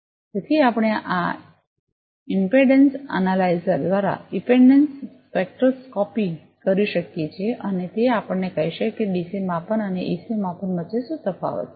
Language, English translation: Gujarati, So, we can do the impedance spectroscopy, by this impedance analyzer and that will tell us that; what is the difference between; a DC measurement and AC measurement